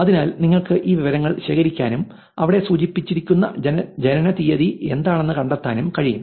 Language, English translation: Malayalam, So, you could collect this information and find out what is the date of birth mentioned there